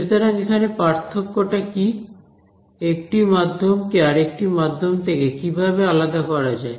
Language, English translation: Bengali, What is different over here, what differentiates one medium from another medium